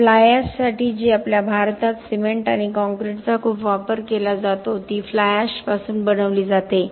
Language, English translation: Marathi, For fly ash which is very commonly used lot of our cement and concrete in India is made out of fly ash